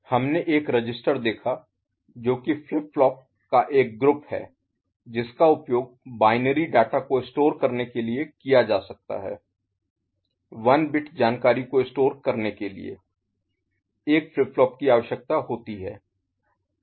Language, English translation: Hindi, A register, we have seen that, is a group of flip flop that can be used to store binary data one bit of information storage requires use of one flip flop